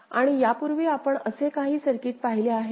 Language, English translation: Marathi, And have we seen some such circuit before